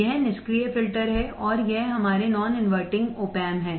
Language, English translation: Hindi, This is the passive filter and this is our non inverting op amp